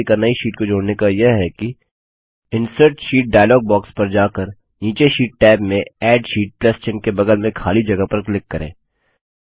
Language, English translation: Hindi, The last method of inserting a new sheet by accessing the Insert Sheet dialog box is by simply clicking on the empty space next to the Add Sheet plus sign in the sheet tabs at the bottom